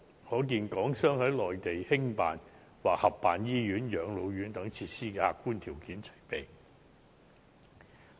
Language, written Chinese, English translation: Cantonese, 可見港商在內地興辦或合辦醫院、養老院等設施的客觀條件齊備。, The objective conditions are evidently ripe for Hong Kong business people to run or co - run facilities such as hospitals or elderly care centres on the Mainland